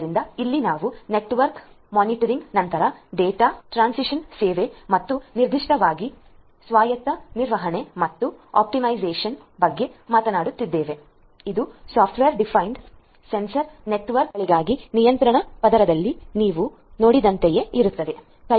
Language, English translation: Kannada, So, here we are talking about again network monitoring, then data transmission service and management and optimization particularly autonomous management and optimization, it is very similar to the ones that you had seen in the control layer for software defined sensor networks